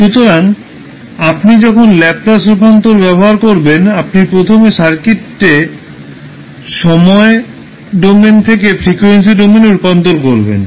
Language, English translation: Bengali, So, when you use the Laplace transform you will first convert the circuit from time domain to frequency domain